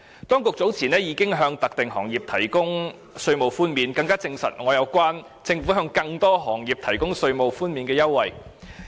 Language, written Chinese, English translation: Cantonese, 當局早前已向特定行業提供稅務寬免，這更證實我認為政府會向更多行業提供稅務寬免優惠的想法。, Given that the authorities had already provided tax concessions for specified industries earlier on this reinforces my belief that the Government would provide tax concessions to many more other industries